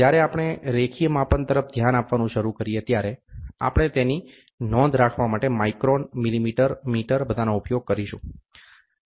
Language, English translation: Gujarati, When we start looking into the linear measurement, then we will always use to report it in terms of microns, millimeter, meter all those things